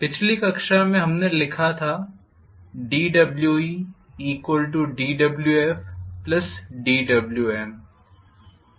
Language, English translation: Hindi, Last class we wrote dWe equal to dWf plus dWm